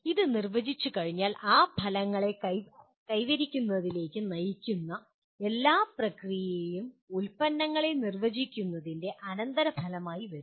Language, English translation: Malayalam, And having defined that, all the processes that lead to the attainment of those outcomes comes as a consequence of defining the products